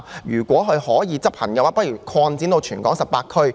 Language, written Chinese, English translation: Cantonese, 如果是可以執行的，不如擴展至全港18區。, If this measure is feasible I suggest that it be extended it to all the 18 districts in Hong Kong